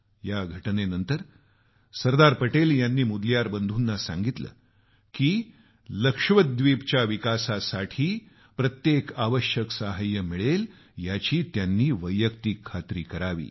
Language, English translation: Marathi, After this incident, Sardar Patel asked the Mudaliar brothers to personally ensure all assistance for development of Lakshadweep